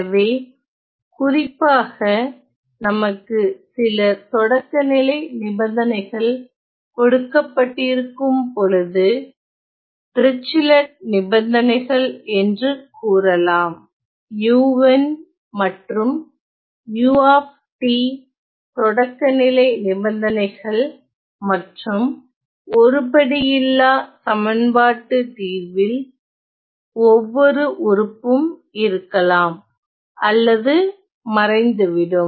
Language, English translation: Tamil, So, specifically if we are we are given certain initial conditions, let us say the Dirichlet condition as well as the initial conditions for u, as well as u t, as well as the case when the solution is the equation is non homogenous, each of these terms will either appear or disappear